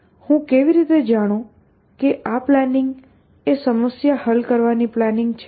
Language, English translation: Gujarati, How do I know that the plan is a plan for solving a problem